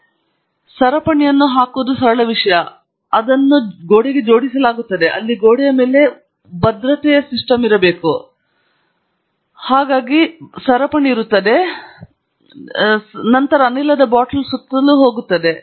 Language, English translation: Kannada, So, a simple thing that is done is to put a chain like this, so that it is then attached to the wall; there should be a good securing system on the wall from which there is a chain that comes around, and then, goes around the gas bottle